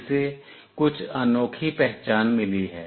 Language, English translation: Hindi, It has got some unique identity